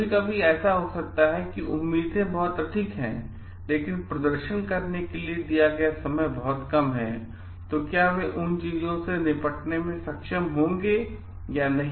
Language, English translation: Hindi, Sometimes, it may happen that expectations is so much, but the time given to perform is very less so whether they will be able to tackle with those things or not